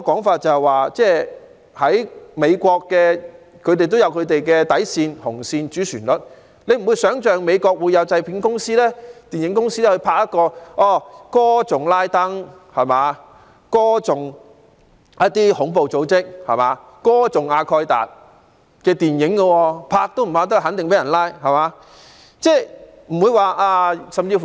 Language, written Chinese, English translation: Cantonese, 況且，美國也有本身的底線、紅線、主旋律，難以想象會有美國的製片公司、電影公司拍攝歌頌拉登、恐怖組織、阿蓋達的電影，相信除禁止拍攝外，製作人也肯定會被拘捕。, Moreover the United States also has its own line of tolerance red line and main theme and it would be unimaginable for an American film production company or film studio to produce movies that sing in praise of Usama bin Laden terrorist organizations and Al Qaeda . I believe that not only will the production of such films be prohibited the filmmakers concerned will surely be arrested too